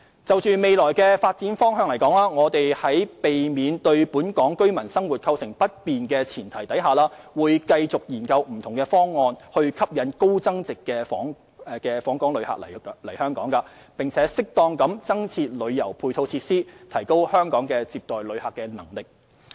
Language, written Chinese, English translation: Cantonese, 就未來發展方向而言，我們在避免對本港居民生活構成不便的前提下，會繼續研究不同方案以吸引高增值訪客來港，並適當增設旅遊配套設施，提高香港接待旅客的能力。, Insofar as the future development direction is concerned we will continue to explore various proposals for attracting high value - added visitors to Hong Kong and suitably providing additional supporting tourism facilities and upgrading Hong Kongs visitor receiving capability on the premise of not causing inconvenience to the daily life of local residents